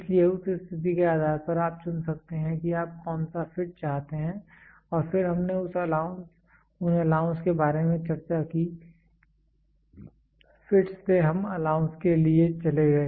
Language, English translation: Hindi, So, depending upon the situation you can choose which fit you want, and then we discussed about allowance from fits we moved to allowance